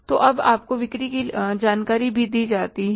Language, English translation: Hindi, So now you are given the sales information also